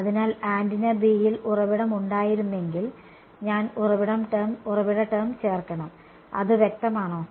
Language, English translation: Malayalam, So, if there were source in antenna B then I have to add the source term that is all, is it clear